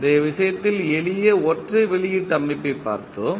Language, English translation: Tamil, In the previous case we saw the simple single output system